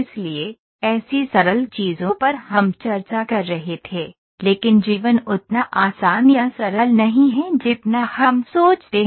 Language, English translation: Hindi, So, such simple things we were discussing, but life is not as easy or as simple as we think